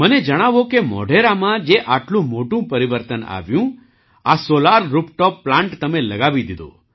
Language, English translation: Gujarati, Tell me, the big transformation that came in Modhera, you got this Solar Rooftop Plant installed